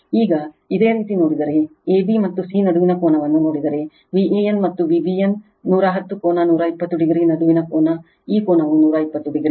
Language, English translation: Kannada, Now, if you see the if you see the angle between a, b, and c, so angle between V a n and V b n 110 angle 120 degree, this angle is 120 degree right